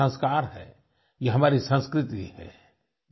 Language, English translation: Hindi, These are a part of our values and culture